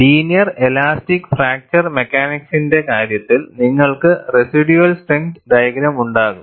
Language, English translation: Malayalam, In the case of linear elastic fracture mechanics, you will have a residual strength diagram